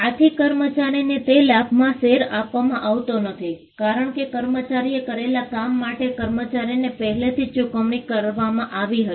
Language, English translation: Gujarati, The employee is not given a share, because the employee was already paid for the work that the employee had done